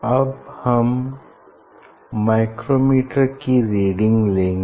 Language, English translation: Hindi, Now, I will take reading of the micrometer